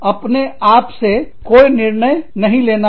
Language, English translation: Hindi, You do not take, any decision, on your own